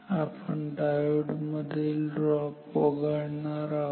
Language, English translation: Marathi, Now so, we will ignore the diode drops